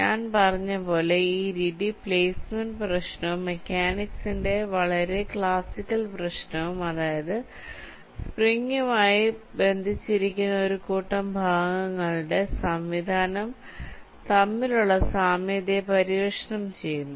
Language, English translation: Malayalam, now, as i had said, this method, this explores the similarity of analogy between the placement problem and a very classical problem of mechanics, which is a system of bodies attached to springs